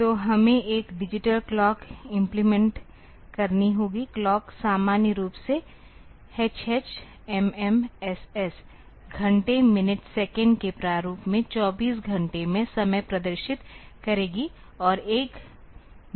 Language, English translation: Hindi, So, we have to implement a digital clock; the clock will normally display the time in 24 hour format in hh mm ss hour minute second format and there is a mode button